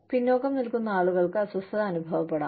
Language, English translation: Malayalam, The people, who are left behind, may feel uncomfortable